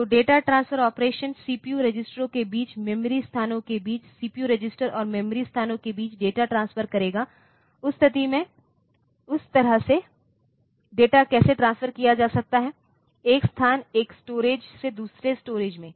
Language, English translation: Hindi, So, data transfer operations they will talk how to transfer data between the CPU registers between memory locations between CPU which register and memory locations like that, how the data can be transferred, from one position one storage to another storage